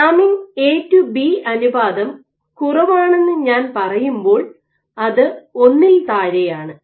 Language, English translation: Malayalam, When I say low there is A to B ratio is less than 1